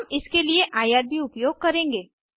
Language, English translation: Hindi, We will use irb for this